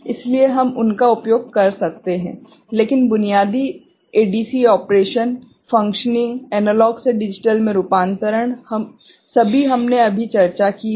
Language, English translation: Hindi, So, we can make use of them, but basic ADC operation, the functioning, the conversion of analog to digital, so that we have just discussed